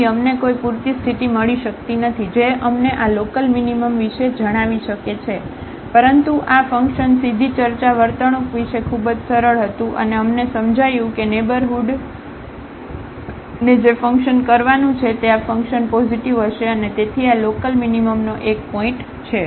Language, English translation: Gujarati, So, we could not get any sufficient condition, which can tell us about this local minimum, but this function was very easy to discuss directly, the behavior and we realized that whatever point be taking the neighborhood the function this delta f will be positive and hence, this is a point of local minimum